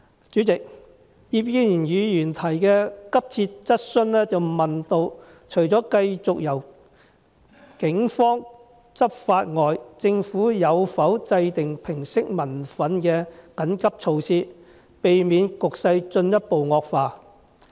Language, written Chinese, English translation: Cantonese, 主席，葉建源議員提出的急切質詢問到，除了繼續由警方執法外，政府有否制訂平息民憤的緊急措施，以免局勢進一步惡化。, President Mr IP Kin - yuens urgent question asks whether apart from the continued law enforcement actions to be taken by the Police the Government has formulated any emergency measures to allay public resentment so as to avoid further deterioration of the situation